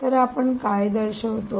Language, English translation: Marathi, so what would you show